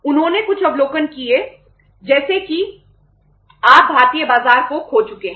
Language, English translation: Hindi, They made some observations like that see you have lost the Indian market